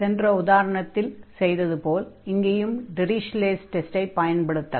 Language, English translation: Tamil, Now, we have one more test, which was not discussed in the previous lecture that is called the Dirichlet’s test